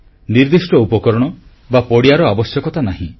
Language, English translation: Odia, No special tools or fields are needed